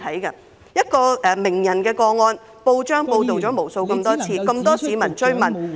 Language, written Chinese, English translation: Cantonese, 就一位名人的個案，報章報道了無數次，亦有很多市民追問......, The case of a celebrity has been reported numerous times in the newspaper and enquired by many citizens